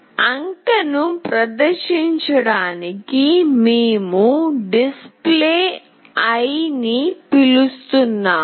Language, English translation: Telugu, We are calling Display to display the digit